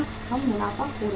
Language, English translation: Hindi, We will be losing the profits